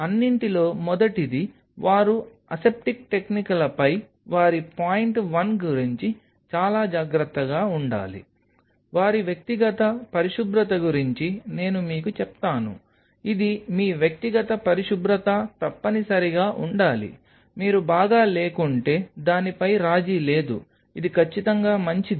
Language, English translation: Telugu, First of all, they should be very careful about their point one on the aseptic techniques I will tell you about their personal hygiene this is must the must your personal hygiene, there is no compromise on it if you are not well it is absolutely advisable that do not come to lab second